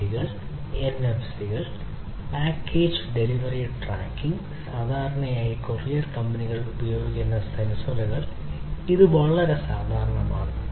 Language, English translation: Malayalam, Sensors being used RFIDs, NFCs, tracking of package delivery, typically by courier companies this is quite common